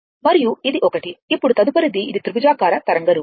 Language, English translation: Telugu, And, this one, now next one is this is triangular waveform